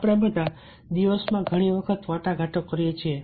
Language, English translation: Gujarati, all of us negotiate many times a day